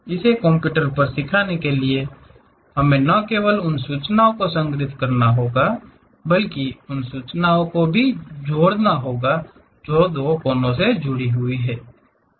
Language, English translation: Hindi, To teach it to the computer, we have to store not only that vertices information, but a information which are the two vertices connected with each other